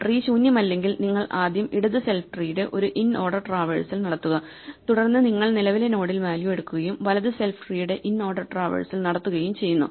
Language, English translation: Malayalam, If you see the code you can see that if the tree is not empty you first do an inorder traversal of the left self tree then you pick up the value at the current node and then you do an inorder traversal of the right self tree and this produces the list of values